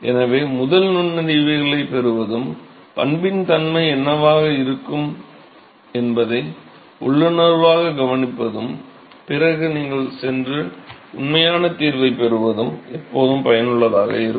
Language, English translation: Tamil, So, it is always useful to get the insights first and intuitively predict what is going to be the nature of the behavior and then you go and get the actual solution